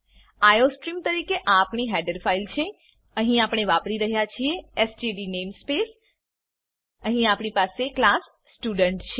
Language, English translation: Gujarati, This is our header file as iostream Here we are using the std namespace Here we have class student